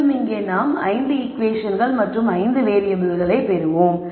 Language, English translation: Tamil, So, that will be a total of 5 equations and 5 variables